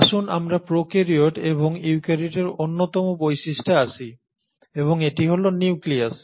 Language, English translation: Bengali, Now let us come to one of the most distinguishing features between the prokaryotes and the eukaryotes and that is the nucleus